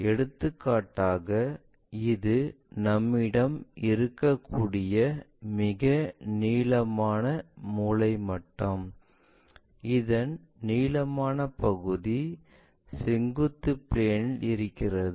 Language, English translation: Tamil, For example, this is the one longestset square what we can have and this longest one on vertical plane it is in vertical plane